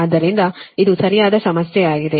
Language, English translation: Kannada, so thats why this problem